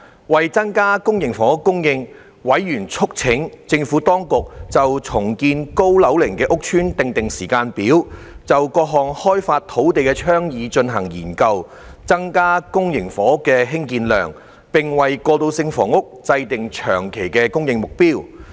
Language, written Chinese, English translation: Cantonese, 為增加公營房屋供應，委員促請政府當局就重建高樓齡屋邨訂定時間表；就各項開發土地的倡議進行研究；增加公營房屋興建量，並為過渡性房屋制訂長期供應目標。, In order to increase public housing supply members called on the Administration to set a timetable for redeveloping aged estates; study various propositions of land development; and increase public housing production with a long - term supply target for transitional housing